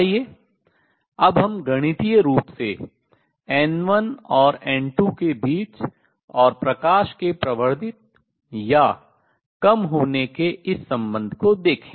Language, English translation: Hindi, Let us now see this relationship between N 1 and N 2 and light getting amplified or diminished mathematically